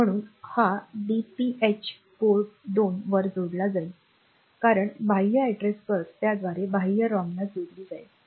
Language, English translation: Marathi, So, that will be put onto Port 2 because through that this external address bus will be connected to the external RAM